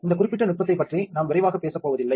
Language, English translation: Tamil, We are not going into detail about this particular technique